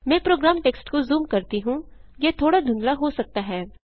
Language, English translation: Hindi, Let me zoom the program text it may possibly be a little blurred